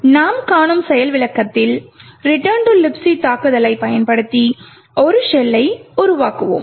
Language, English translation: Tamil, In the demonstration that we see today, we will be creating a shell using the return to libc attack